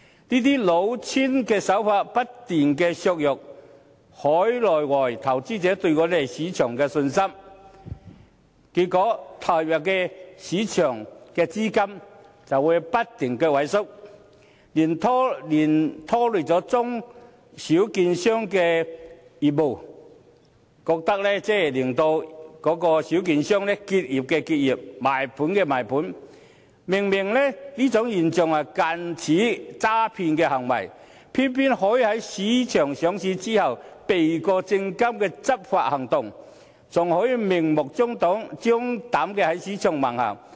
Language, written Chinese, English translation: Cantonese, 這些老千手法不斷削弱海內外投資者對香港市場的信心，結果投入市場的資金不斷萎縮，拖累中小券商的業務，令小券商不是結業便是賣盤，明明這是近似詐騙的行為，偏偏可以在公司上市後，避過證監會的執法行動，還可以明目張膽地在市場橫行。, Such scams have been eroding the confidence of outside and local investors in the Hong Kong market causing a continuous shrinkage of capital entry and dealing a blow to the business of small and medium securities dealers . As a result such dealers either have to close down or sell their businesses . These practices are clearly similar to frauds but then the companies concerned can still dodge SFCs enforcement actions after listing and even do whatever they want blatantly